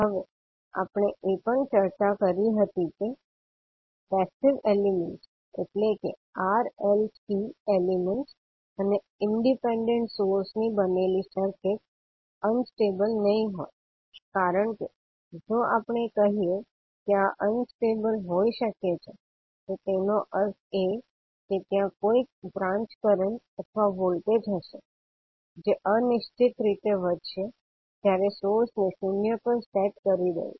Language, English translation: Gujarati, Now we also discussed that, the circuits which are made up of passive elements that is R, L, C elements and independent sources will not be unstable because if we say that these can be unstable that means that there would be some branch currents or voltages which would grow indefinitely with sources set to zero, which generally is not the case, when we analyze the R, L, C circuits